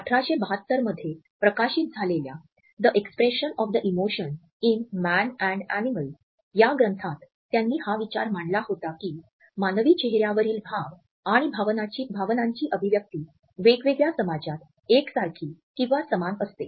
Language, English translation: Marathi, In a treatise, The Expression of the Emotions in Man and Animals which was published in 1872, he had propounded this idea that the expression of emotions and feelings on human face is universal in different societies